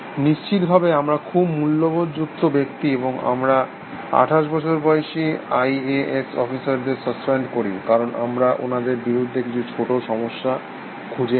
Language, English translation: Bengali, Of course, we are very ethical people, and we go around suspending twenty eight year old IAS officers, because of some small residues that we have against them